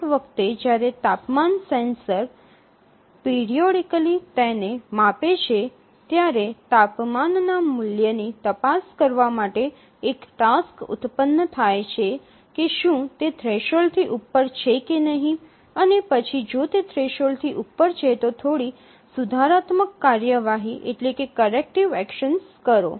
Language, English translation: Gujarati, So each time the temperature sensor measures it and it periodically measures a task is generated to check the temperature value whether it is above the threshold and then if it is above the threshold then take some corrective action